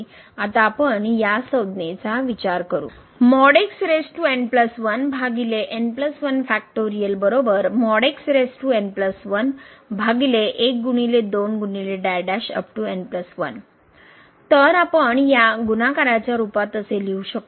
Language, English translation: Marathi, So, we can write down in the form of the product as